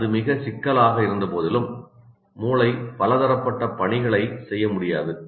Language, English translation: Tamil, In spite of its great complexity, brain cannot multitask